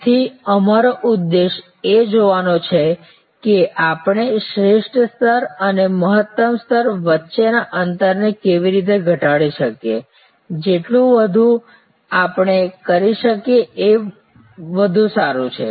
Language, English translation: Gujarati, So, our aim is to see how we can reduce this gap between the optimal level and the maximum level, the more we can do that better it is